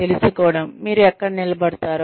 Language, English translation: Telugu, Knowing, where you stand